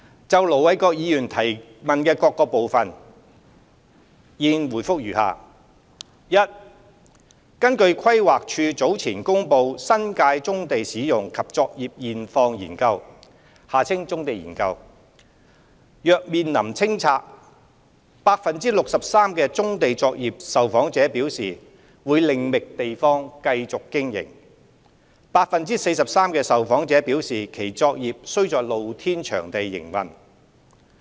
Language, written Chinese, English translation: Cantonese, 就盧偉國議員提問的各個部分，現回覆如下：一根據規劃署早前公布《新界棕地使用及作業現況研究》，若面臨清拆 ，63% 棕地作業受訪者表示會另覓地方繼續經營 ，43% 受訪者表示其作業需在露天場地營運。, My reply to the various parts of the question raised by Ir Dr LO Wai - kwok is as follows 1 According to the Study on Existing Profile and Operations of Brownfield Sites in the New Territories promulgated earlier by the Planning Department PlanD 63 % of brownfield operation respondents said they would find alternative sites to continue operation upon clearances . 43 % of the respondents said that they saw the need to operate in open - air sites